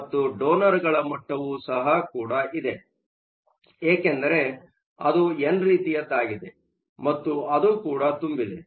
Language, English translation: Kannada, And you also have a donor level, because it is n type which is also full